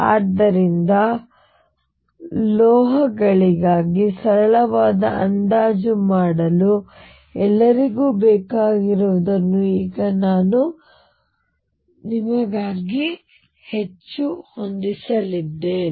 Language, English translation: Kannada, So, by now I have set up pretty much for you what all be require to do a very simple approximation for metals